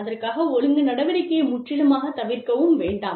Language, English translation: Tamil, So, do not avoid the disciplinary action, completely